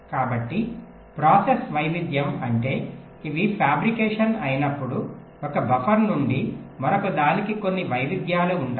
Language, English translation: Telugu, variation means when these are fabricated, there will be some variations from one buffer to the other